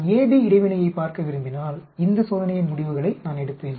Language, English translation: Tamil, If I want to look at interaction AB, I will take the results of this experiment